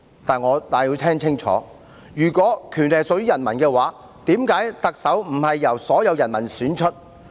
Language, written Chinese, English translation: Cantonese, "但是，如果權力屬於人民，為何特首並非由所有人民選出？, However if power belongs to the people why is the Chief Executive not elected by all the people?